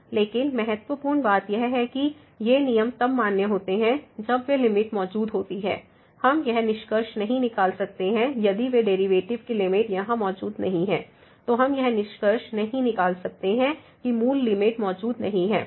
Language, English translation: Hindi, But that important point was that these rule is valid when, when those limits exist we cannot conclude if those limits here of the derivatives do not exists then we cannot conclude that the original limit does not exist